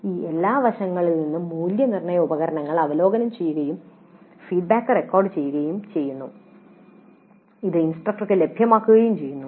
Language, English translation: Malayalam, From all these aspects the assessment instruments are reviewed and the feedback is recorded and is made available to the instructor